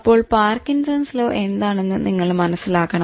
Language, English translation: Malayalam, What is this Parkinson's law